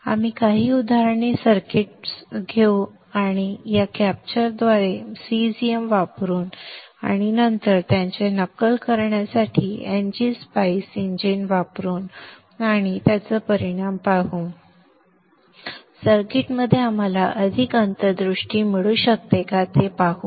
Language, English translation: Marathi, We will take a few examples circuits, put it through the schematic capture using G shem, and then use the NG Spice engine to simulate it and look at the results and see we can get more insights into the circuits